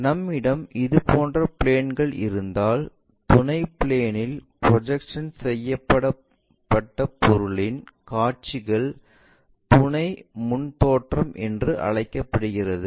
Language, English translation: Tamil, If we have such kind of planes, the views of the object projected on the auxiliary plane is called auxiliary front view